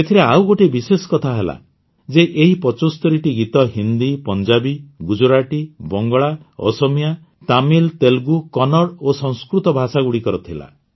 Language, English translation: Odia, What is more special in this is that these 75 songs were sung in languages like Hindi, Punjabi, Gujarati, Bangla, Assamese, Tamil, Telugu, Kannada and Sanskrit